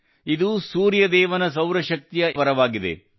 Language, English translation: Kannada, This is the very boon of Sun God's solar energy